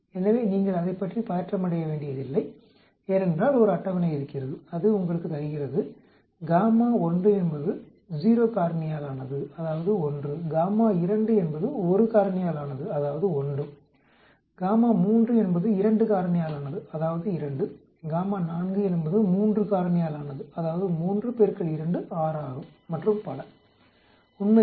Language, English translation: Tamil, So you do not have to get tense about it because there is a table which gives you for gamma 1 is 0 factorial that is 1, gamma 2 is 1 factorial that is 1, gamma 3 is 2 factorial that is 2, gamma 4 is 3 factorial that is 3 into 2, 6 and so on actually